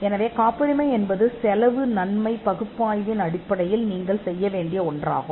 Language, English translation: Tamil, So, patenting is something which you would do based on a cost benefit analysis